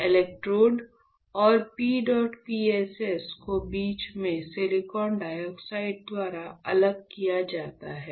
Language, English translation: Hindi, So, electrode and PEDOT PSS are separated by silicon dioxide in between